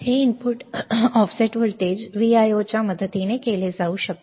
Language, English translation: Marathi, This nulling can be done with the help of the input offset voltage VIO